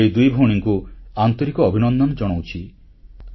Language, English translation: Odia, Many congratulation to these two sisters